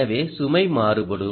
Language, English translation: Tamil, it keeps varying